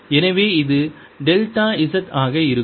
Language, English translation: Tamil, so this is going to be delta z